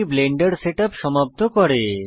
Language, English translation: Bengali, This completes the Blender Setup